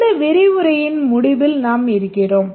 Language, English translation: Tamil, We are at the end of this lecture